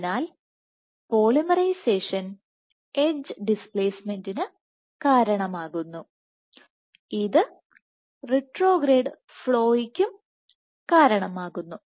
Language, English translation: Malayalam, So, you have the following thing polymerization causing edge displacement and this causes retrograde flow